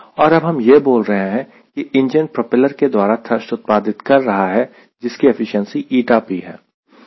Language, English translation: Hindi, and we are now telling: the engine produces thrust via propeller, which has efficiency n p